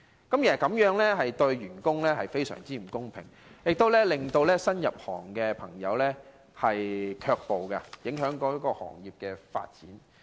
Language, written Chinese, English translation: Cantonese, 其實，這樣對員工非常不公平，亦令人不願意入行，因而影響行業發展。, In fact this arrangement is very unfair to staff and may discourage people from joining the industry impeding the development of tourism